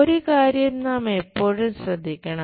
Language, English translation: Malayalam, One thing we have to be careful always